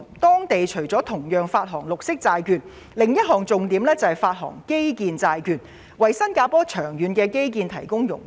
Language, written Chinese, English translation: Cantonese, 當地除了同樣會發行綠色債券外，另一重點是會發行基建債券，為新加坡的長遠基建發展融資。, Apart from the issuance of green bonds like us another highlight in its budget is the issuance of infrastructure bonds to fund Singapores long - term infrastructure development